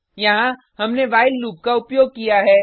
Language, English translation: Hindi, Here, we have used the while loop